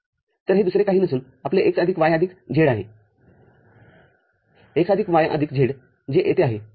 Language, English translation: Marathi, So, this is nothing but your x plus y plus z x plus y plus z, so that is that goes here